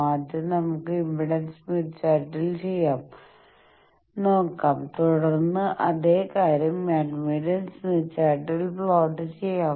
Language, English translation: Malayalam, Now let us do both the things so first let us see the impedance smith chart thing, then the next problem we will see the same thing we will plot it in admittance smith chart